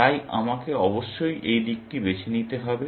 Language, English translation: Bengali, So, I must choose this side, essentially